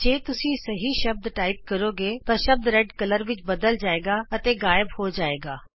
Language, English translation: Punjabi, If you type the words correctly, the word turns red and vanishes